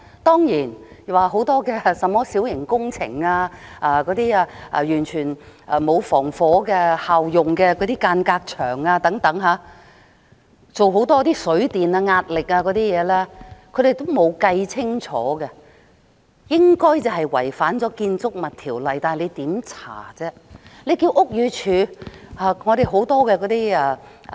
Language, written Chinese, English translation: Cantonese, 當然，有很多小型工程的問題，例如完全沒有設置具防火效用的間隔牆，又或即使進行了水電壓力等測試，但仍未計算清楚，應該違反了《建築物條例》，但當局如何調查？, Certainly there are many problems relating to minor works . For example no fire - resistant partition wall has been erected or even if water and electricity pressure tests or that sort have been carried out the calculations are still unclear and the Buildings Ordinance has probably been violated . But how can the authorities conduct investigations?